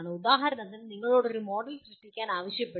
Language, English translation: Malayalam, For example you are asked to create a model